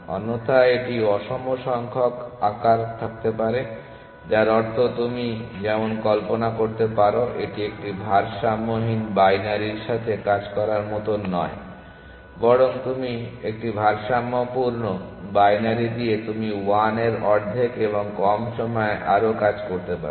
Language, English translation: Bengali, Otherwise, there may be a unequal number of size which means a as you can imagine it is like working with a unbalanced binary rather than a balance binary you may do more work in 1 half and less